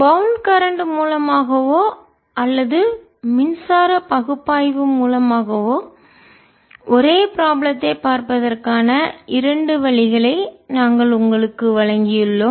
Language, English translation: Tamil, we have given you looking at the same problem, either through the bound current or by electric analysis